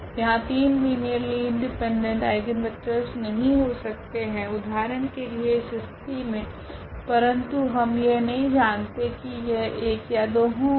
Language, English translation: Hindi, There cannot be three linearly eigen linearly independent eigenvectors for example, in this case, but we do not know whether there will be 2 or there will be 1